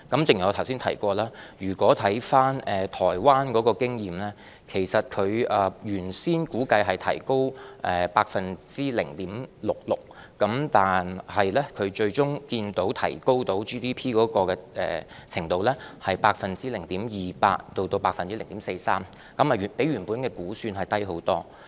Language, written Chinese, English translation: Cantonese, 正如我剛才提到，就台灣的經驗而言，其實當地政府預先估計發放消費券能提高其 GDP 0.66%， 但最終可見 GDP 提高的程度只有 0.28% 至 0.43%， 較預期估算低得多。, Concerning the experience in Taiwan as I mentioned earlier the local government actually estimated that the handing out of consumption vouchers could have raised its Gross Domestic Product GDP by 0.66 % but at the end only 0.28 % to 0.43 % of its GDP was raised much lower than the original estimation